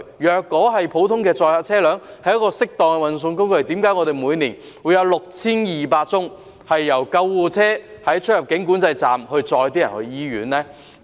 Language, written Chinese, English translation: Cantonese, 如果普通載客車輛是適當的運送工具，為何我們每年有6200宗由救護車在出入境管制站運載病人到醫院的個案呢？, If they are why do we have 6 200 calls yearly for ambulance services to transfer patients from immigration control points to hospitals?